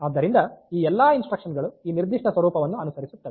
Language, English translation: Kannada, So, all instructions will follow this particular format